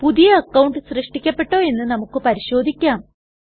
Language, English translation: Malayalam, Let us now check, if the user account has been created